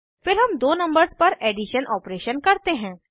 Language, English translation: Hindi, This will perform subtraction of two numbers